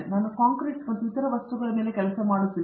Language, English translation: Kannada, I work on concrete and other construction materials